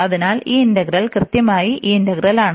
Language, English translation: Malayalam, So, here this integral is is exactly this integral